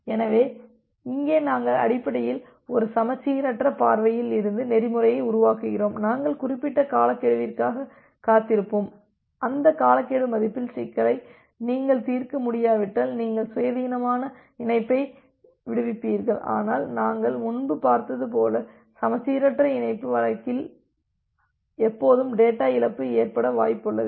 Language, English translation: Tamil, So, here we are we are basically making the protocol from a asymmetric view that we will wait for certain timeouts and if you are not able to solve the problem with that timeout value then you independently release the connection, but as we have seen earlier in case of asymmetric connection there is always a possibility of having a data loss